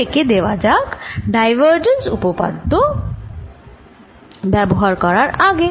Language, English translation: Bengali, let us give that before using divergence theorem